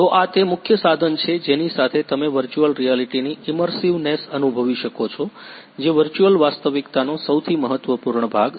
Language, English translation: Gujarati, Then this is the main equipment with which you can feel the immersiveness of the virtual reality which is the most important part in the virtual reality